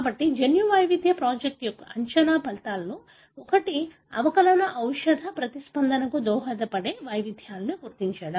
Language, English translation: Telugu, So, one of the predicted outcome of the genome variation project is to identify the variants that contribute to differential drug response